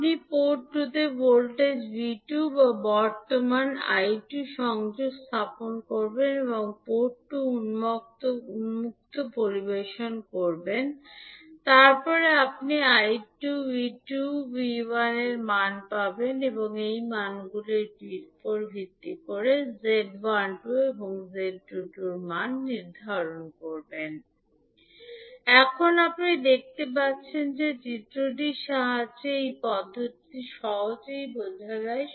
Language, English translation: Bengali, You will connect voltage V2 or current I2 to port 2 and keep port 1 open circuited, then, you will find the value of I2, V2 and V1 and based on these values you can calculate the value of Z12 as V1 upon I2 and Z22 as V2 upon I2